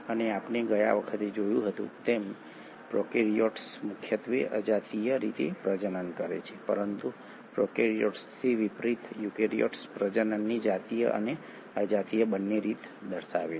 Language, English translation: Gujarati, And as we had seen last time prokaryotes mainly reproduce asexually, but in contrast to prokaryotes, eukaryotes exhibit both sexual and asexual mode of reproduction